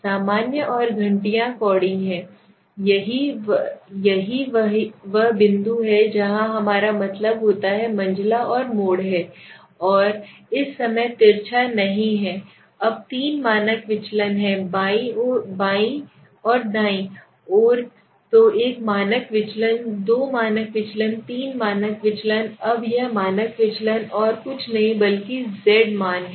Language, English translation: Hindi, So what is the normal and the bells cowry we say is this is the point where we mean median and mode lie right and this is not skewed at the moment okay now there are three standard deviation to the right to the left okay so one standard deviation two standard deviation three standard deviation now this standard deviation is nothing but the z value